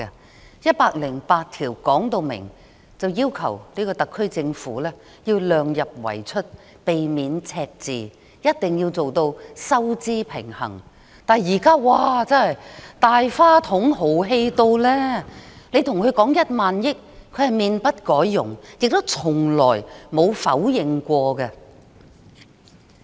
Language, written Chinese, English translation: Cantonese, 《基本法》第一百零八條要求特區政府量入為出，避免赤字，必須做到收支平衡，但現在卻"大花筒"，十分豪氣，跟她說1萬億元，她也面不改容，亦從不否認。, Article 108 of the Basic Law states clearly that the HKSAR Government should keep expenditure within the limits of revenues avoid deficits and strive to achieve a fiscal balance . However she is squandering lavishing . She talks about 1,000 billion with a poker face and she has never denied it